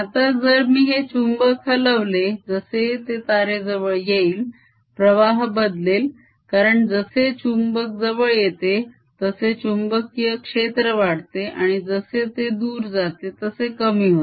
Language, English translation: Marathi, now, if i shake the magnet as it comes near the wire, the flux is going to change because as the magnet comes nearer, the field becomes stronger and as it goes away, field becomes weaker again